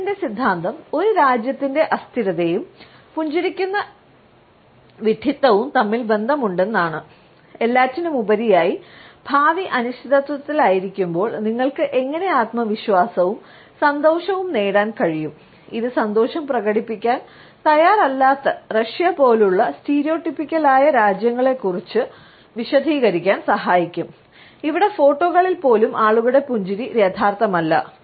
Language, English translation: Malayalam, His theory is that there is a connection between a countries level of instability and finding smiling stupid, after all how can you be so confident and happy when the future is uncertain, that might help explain stereotypically frowny places like Russia, where smiling in photos is not really a thing